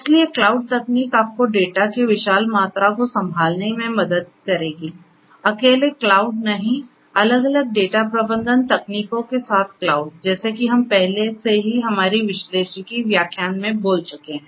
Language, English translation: Hindi, So, cloud technology will help you to handle huge volumes of data to handle huge volumes of data; not cloud alone, cloud with different other data management techniques like the ones that we have already spoken in our analytics lectures